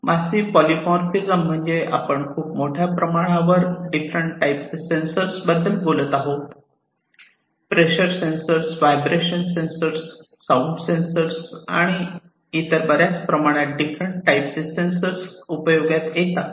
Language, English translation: Marathi, Massive polymorphism means, we are talking about the use of large number of different types of sensors, pressure sensors, vibration sensors, sound sensors, and large number of different types of sensors could be used